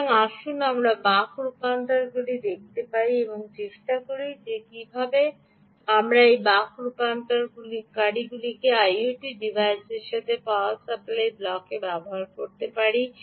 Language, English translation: Bengali, so lets see ah buck converters and try and see how we can actually use this buck converters also in the power supply block of the i o t device